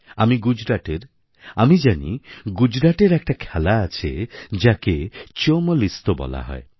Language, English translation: Bengali, I known of a game played in Gujarat called Chomal Isto